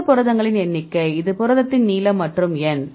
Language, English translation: Tamil, A total number of residues there is the length of this protein and the N